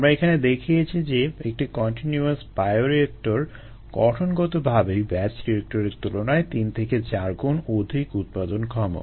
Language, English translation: Bengali, by going through this again, we have shown that a continuous bioreactor is inherently three to four times more productive than a batch bioreactor